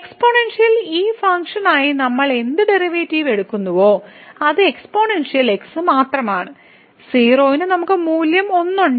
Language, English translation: Malayalam, So, whatever derivative we take for this function exponential it is just the exponential and at 0 we have the value 1